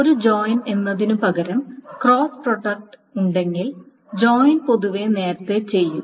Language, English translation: Malayalam, If there is a cross product versus a joint, then join is generally done earlier